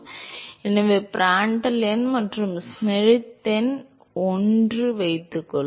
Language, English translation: Tamil, And suppose the Prandtl number and Schmidt number are one